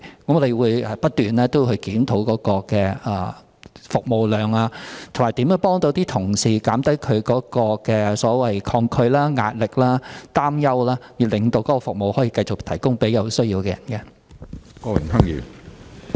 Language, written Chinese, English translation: Cantonese, 我們會不斷檢討有關的服務量，以及如何幫助同事減低抗拒、舒減壓力及擔憂，以致繼續提供服務給有需要的人士。, We will review on a continuous basis the service volume and examine how to help colleagues allay their resistance pressure and anxiety so that they can continue to serve people in need